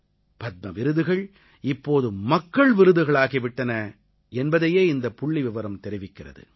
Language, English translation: Tamil, This statistic reveals the faith of every one of us and tells us that the Padma Awards have now become the Peoples' awards